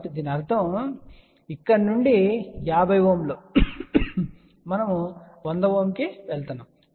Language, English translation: Telugu, So that means, from here 50 ohm we are going to 100 ohm